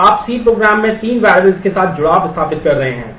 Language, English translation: Hindi, So, you are setting an association with three variables in the C program